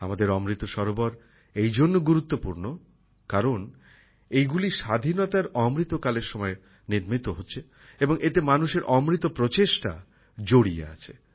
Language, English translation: Bengali, Our Amrit Sarovarsare special because, they are being built in the Azadi Ka Amrit Kal and the essence of the effort of the people has been put in them